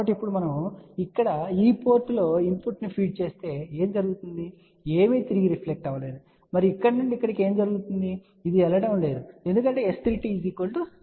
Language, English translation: Telugu, So, now if we feed the input at this port here, so what will happen you can see that nothing is reflected back and what is happening from here to here well nothing is going there because S 3 2 is equal to 0